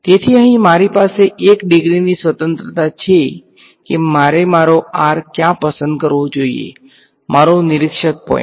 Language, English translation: Gujarati, So, I have 1 degree of freedom over here in specifying where should I choose my r, my observer point